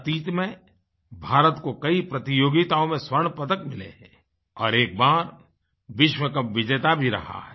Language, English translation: Hindi, India has won gold medals in various tournaments and has been the World Champion once